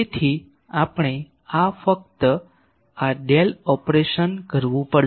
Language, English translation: Gujarati, So, just we will have to perform this Del operation